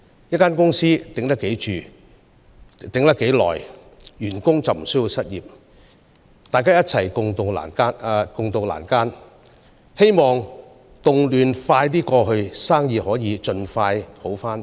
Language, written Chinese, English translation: Cantonese, 一間公司能長久堅持得住，員工便不會失業，大家可以一起共渡難關，待動亂過後，生意可以盡快恢復。, When a company can manage to hold on in the long run its employees will not lose their jobs so both the boss and his employees can work together to tide over hardships . Business will resume as soon as possible after the social unrest is over